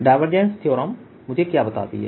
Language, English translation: Hindi, what does the divergence theorem tell me